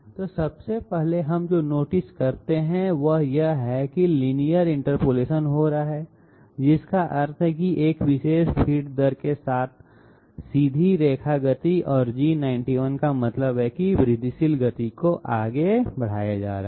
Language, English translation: Hindi, So 1st of all what we notice is that linear interpolation is taking place that means straight line motion with a particular feed rate and G91 means that incremental motion is being carried out